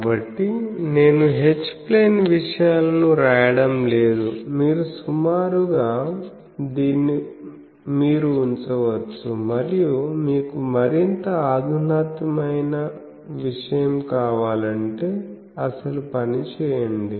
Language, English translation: Telugu, So, I am not writing H plane things, you can approximately you can put a and if you want more sophisticated thing, do the actual thing